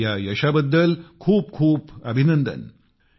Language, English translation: Marathi, Many congratulations to her on this achievement